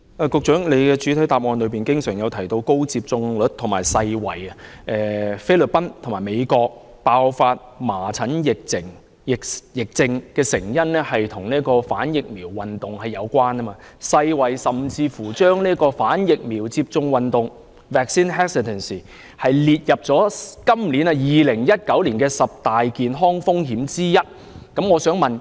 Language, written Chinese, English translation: Cantonese, 局長在主體答覆經常提到高接種率和世衞，並指菲律賓和美國爆發麻疹疫症的成因，跟反疫苗運動有關，世衞甚至把"反疫苗接種運動"列為2019年十大健康風險之一。, The Secretary has mentioned a high vaccination take - up rate and WHO time and again in the main reply and pointed out that the outbreak of measles epidemic in the Philippines and the United States is attributed to vaccine hesitancy . WHO has even listed vaccine hesitancy as one of the top 10 threats to global health in 2019